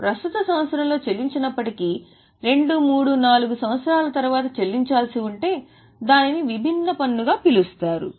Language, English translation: Telugu, If it is not to be paid in current year but can be paid after two, three, four years It's called as a deferred tax